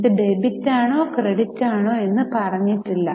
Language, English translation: Malayalam, It was not given whether it is debit or credit